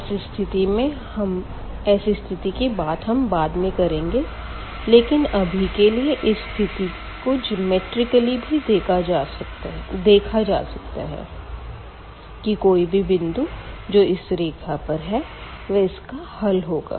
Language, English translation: Hindi, So, that we will deal little later all those cases, but here for this very simple case we can see this geometrically also that now, in this case any point on the line is the solution of the given system of equations